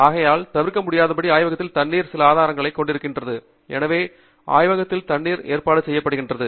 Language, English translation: Tamil, So, therefore, invariably, labs have some source of water, some arrangement for water in the lab